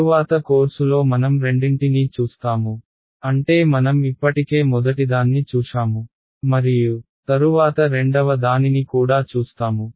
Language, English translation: Telugu, Later on in the course we will come across both I mean we have already seen the first one and we will later on the course come across the second one also